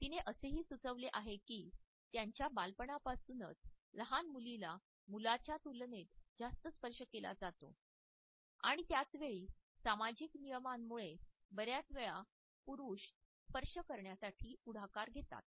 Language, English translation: Marathi, She has also suggested that since their early childhood it is the young female child who is touched more in comparison to a male child, and at the same time because of the social norms men normally initiate touch more frequently than women